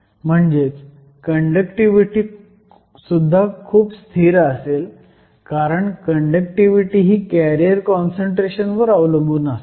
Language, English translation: Marathi, This means the conductivity will also be very stable because the conductivity depends upon the carrier concentration